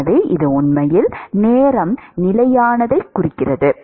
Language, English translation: Tamil, So, it really signifies at time constant